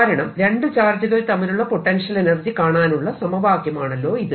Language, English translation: Malayalam, because this is the potential energy between two charges